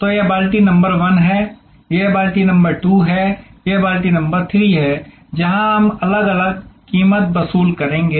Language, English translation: Hindi, So, this is bucket number 1, this is bucket number 2, this is bucket number 3, where we will be charging different prices